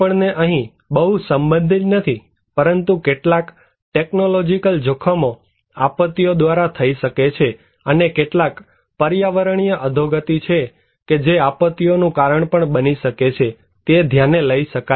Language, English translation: Gujarati, We are also not very related to here, but we can also consider some technological hazards can happen through disasters and also some environmental degradations which can also cause disasters